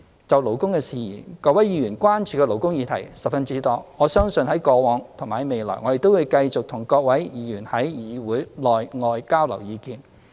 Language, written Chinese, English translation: Cantonese, 就勞工事宜，各位議員關注的勞工議題十分多，我相信在過往及未來，我們都會繼續與各位議員在議會內外交流意見。, In the scope of labour matters Members have expressed concern over a wide range of labour issues . I believe as in the past and in the future we will continue to exchange views with Honourable Members within and outside the legislature